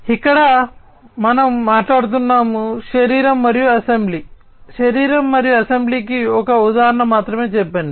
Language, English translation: Telugu, So, here we are talking about, let us say just an example body and assembly, body and assembly